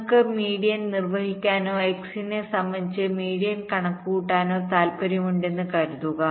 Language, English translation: Malayalam, suppose we want to carry out the median or calculate the median with respect to x